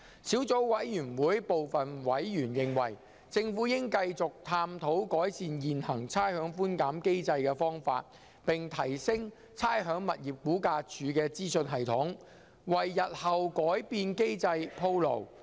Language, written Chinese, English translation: Cantonese, 小組委員會部分委員認為，政府應繼續探討改善現行的差餉寬減機制的方法，並提升差餉物業估價署的資訊系統，為日後改變機制鋪路。, Some Subcommittee members consider that the Government should continue to explore ways to improve the existing rates concession mechanism and enhance the information system of the Rating and Valuation Department RVD to pave the way for making modifications to the mechanism in the future